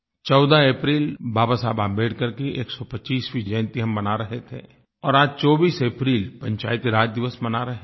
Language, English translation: Hindi, We celebrated 14th April as the 125th birth anniversary of Babasaheb Ambedekar and today we celebrate 24th April as Panchayati Raj Day